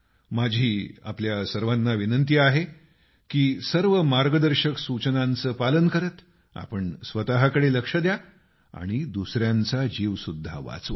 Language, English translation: Marathi, I urge all of you to follow all the guidelines, take care of yourself and also save the lives of others